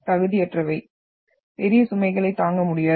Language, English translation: Tamil, Incompetent, cannot withstand great load